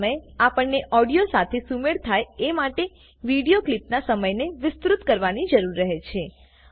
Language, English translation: Gujarati, At such times, one may need to extend the time of the video clip to synchronize with the audio